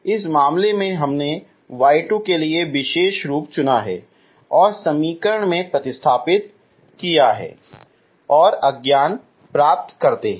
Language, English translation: Hindi, This case we have chosen special form for y 2 and substitute into the equation and get the unknowns